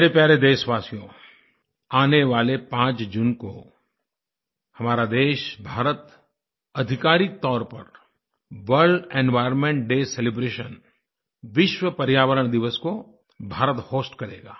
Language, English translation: Hindi, My dear countrymen, on the 5th of June, our nation, India will officially host the World Environment Day Celebrations